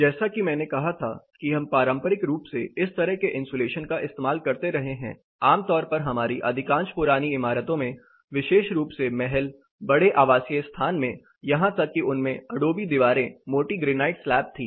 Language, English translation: Hindi, As I said we have been traditionally using this type of isolation much commonly most of our old buildings, especially palaces bigger you know occupying the residential places, even had adobe walls you are you know thick granite slabs they had a high thermal capacity